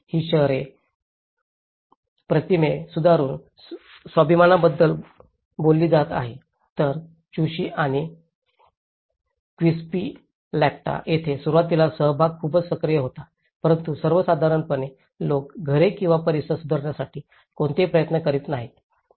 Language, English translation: Marathi, So, that is talking about the self esteem by improving an urban image whereas in Chuschi and Quispillacta, participation was very active initially but the people, in general, are not making any effort to improve their homes or their surroundings